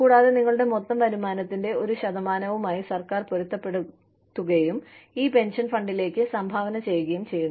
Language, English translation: Malayalam, And, the government matches, a percentage of your total income, and contributes to this pension fund